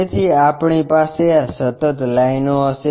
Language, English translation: Gujarati, So, we will have continuous lines